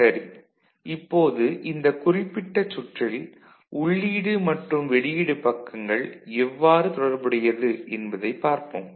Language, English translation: Tamil, Now let us see how this particular circuit it is inputs side and outputs side will be related